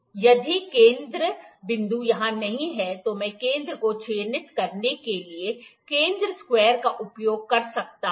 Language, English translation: Hindi, If the center point is not here, I can use center square to mark the center